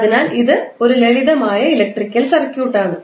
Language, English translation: Malayalam, So, it is like a simple electrical circuit